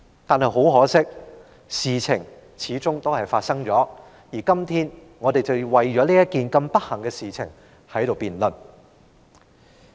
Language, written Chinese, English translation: Cantonese, 但很可惜，事情始終發生了，而我們今天就這件不幸的事情進行辯論。, Unfortunately such kind of incident did happen now and we are going to conduct a debate on this unfortunate incident today